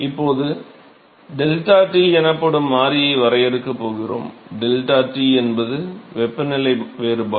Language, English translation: Tamil, So, now, I am going to define a variable called deltaT, deltaT is the temperature difference